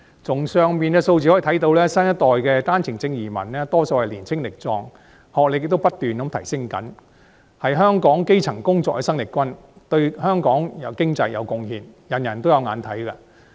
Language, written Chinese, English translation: Cantonese, 從以上數字可見，新一代的單程證移民大多數都年青力壯，平均學歷亦不斷提升，是香港基層工作的生力軍，對香港的經濟有貢獻，大家有目共睹。, The above figures show that OWP entrants from the new generation are mostly young and vibrant and their average education level is also on the rise . While they are new forces for elementary jobs in Hong Kong their contribution to Hong Kongs economy is evident to all